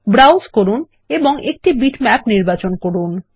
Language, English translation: Bengali, Browse and select a bitmap